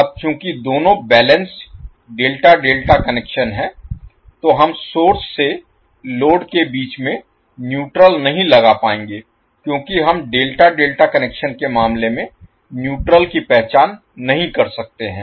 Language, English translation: Hindi, Now since both are balanced delta delta connections we will not be able to put neutral from source to load because we cannot identify neutral in case of delta delta connection